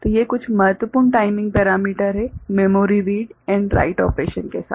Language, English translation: Hindi, So, these are some important timing parameters in association with memory read and write operation ok